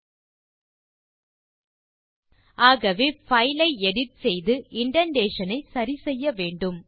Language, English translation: Tamil, So we have to edit the file and make indentation correct